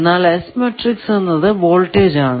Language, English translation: Malayalam, So, the s matrix will be unitary